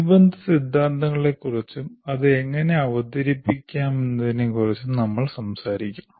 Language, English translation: Malayalam, We'll talk about the related theory and how it can be presented